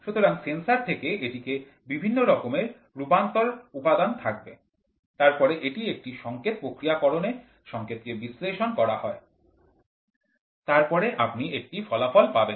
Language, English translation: Bengali, So, from the sensor, it will be various conversion elements, then it will be a signal processing signal is getting processed, then you get an output